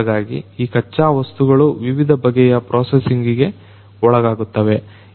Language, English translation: Kannada, So, these raw materials undergo different types of processing